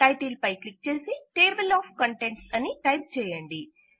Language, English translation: Telugu, Click on the title and type Table of Contents